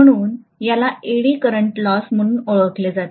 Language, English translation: Marathi, So this is known as the Eddy current loss